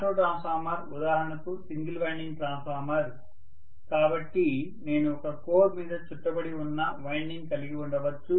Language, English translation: Telugu, Auto transformer is for example a single winding transformer, so I may just have a winding which is bound on a core, I am not showing the core right now